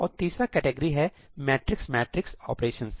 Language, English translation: Hindi, And the third category is matrix matrix operations